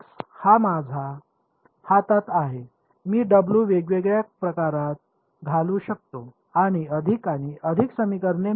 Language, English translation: Marathi, This guy W m x is in my hand I can put in different different w’s get more and more equations ok